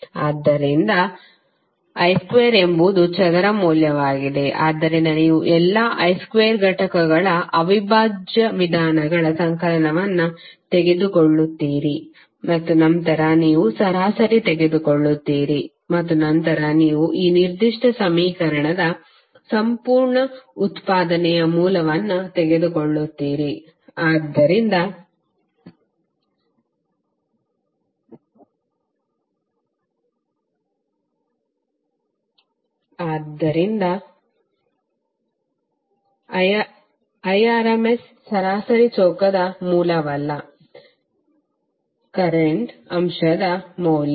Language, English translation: Kannada, So I square is the square value, so you take the integral means summation of all I square component and then you take the mean and then you take the under root of the complete output of this particular equation, so I effective is nothing but root of mean square value of the current element